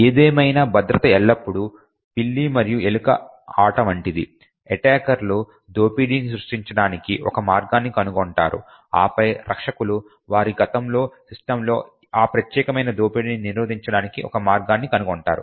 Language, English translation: Telugu, However, security has always been a cat and mouse game the attackers would find a way to create an exploit and then the defenders would then find a way to prevent that particular exploit from running on their system